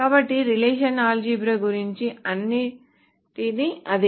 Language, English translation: Telugu, So that is what about the relational algebra